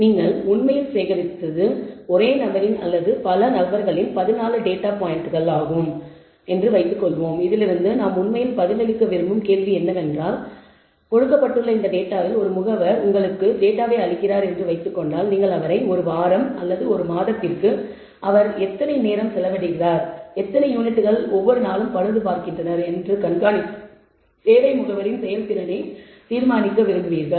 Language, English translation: Tamil, Let us say there are 14 such data points of the same person or multiple persons that you have actually gathered and from this the question that we want to actually answer let us say is given this data suppose as an agent gives you data, you monitor him for week or month on how many how much time they spending, and how many units is repairing every day and want to judge the performance of the agent service agent